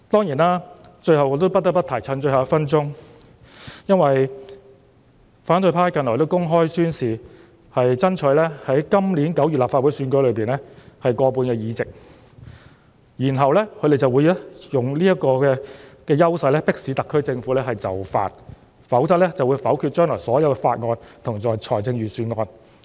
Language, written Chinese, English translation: Cantonese, 藉着最後1分鐘的發言時間，我不得不提的是，反對派近來公開宣示會爭取在今年9月的立法會選舉中取得過半議席，然後會利用這個優勢迫使特區政府就範，否則便會否決將來所有法案和預算案。, In this last minute of my speaking time I must mention that recently the opposition camp has openly declared that they will strive to obtain a majority of seats in the Legislative Council Election in September this year . Then they will take this advantage to force the SAR Government to yield or else they would negative all bills and Budgets in future